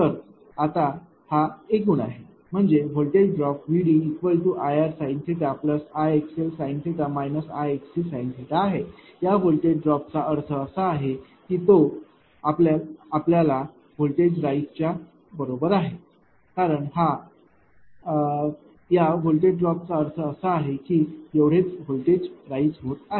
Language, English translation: Marathi, Now this is the total; that means, voltage drop is equal to actually I r sin theta plus I x l sin theta minus I x c sin theta this voltage drop means that that is equivalent to your voltage raised right, because this much drop means that this much of voltage raise